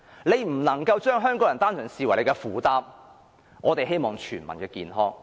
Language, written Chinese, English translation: Cantonese, 政府不能把香港人單純視為負擔，我們希望做到全民健康。, The Government should not merely regard Hong Kong people as its burden and we hope to achieve better health for all